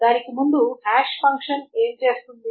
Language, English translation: Telugu, So before that what is a hash function does